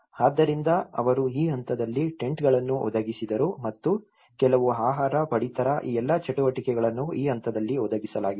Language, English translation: Kannada, So, they also provided at this stage providing tents and some food, rations all these activities have been provided during this phase